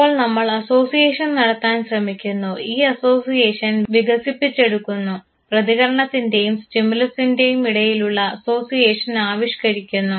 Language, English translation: Malayalam, So, we try to make the association, develop this association, evolve this association between the stimulus in the response